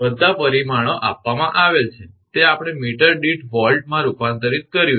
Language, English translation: Gujarati, All parameters are given it is we converted to volt per meter